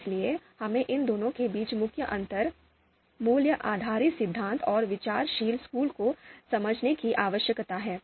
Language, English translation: Hindi, So we need to understand the main differences between these two, the value based theories and outranking school of thought